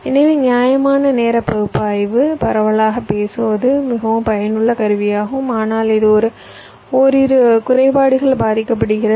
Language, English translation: Tamil, so broadly speaking, the static timing analysis is a very useful tool, but it suffers from a couple of drawbacks